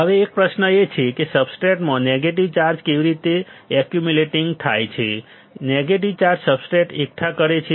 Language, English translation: Gujarati, Now, there is a question, how negative charges accumulating in the substrate negative charges accumulating substrate